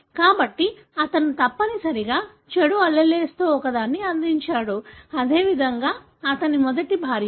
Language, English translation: Telugu, So, he must have contributed one of the bad alleles; likewise, his first wife